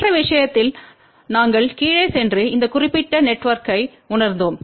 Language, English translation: Tamil, In the other case we had gone down And realize this particular network